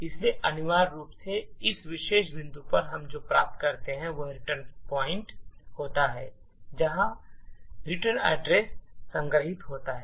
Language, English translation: Hindi, So, essentially at this particular point what we obtain is that return points to where the return address is stored